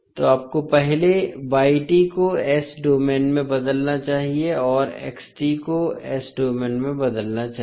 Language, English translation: Hindi, So you have to first convert y t into s domain and x t into s domain